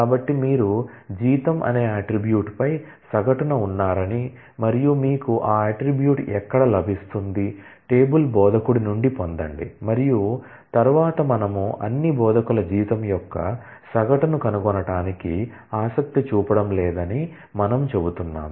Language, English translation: Telugu, So, it says you do average on the attribute salary and where do you get that attribute, from you get it from the table instructor and then we are saying that we are not interested to find average of salary of all instructors